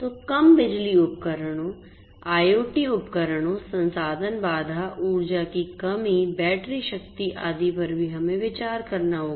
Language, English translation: Hindi, So, low power devices, IoT devices, resource constraint energy constraint battery power and so on